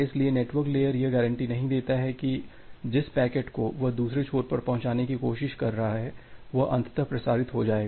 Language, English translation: Hindi, So, the network layer does not guarantee that the packet that it is trying to deliver at the other end it will be eventually transmitted